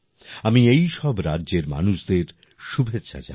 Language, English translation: Bengali, I convey my best wishes to the people of all these states